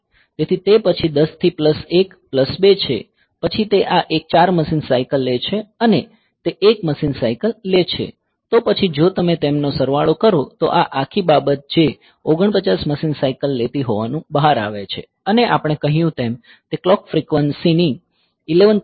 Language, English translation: Gujarati, So, next is 10 into 1 plus 1 plus 2 then it takes 4 machine cycles this one and this takes 1 machine cycles; then if you sum them then this whole thing that turns out to be 49 machine cycle it is 49 machine cycles